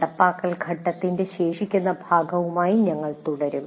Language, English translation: Malayalam, We will continue to look at the remaining part of the implement phase